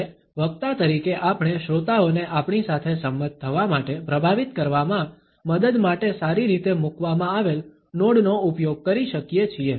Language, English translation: Gujarati, And as the speaker we can use well placed nods to help influence the listeners to agree with us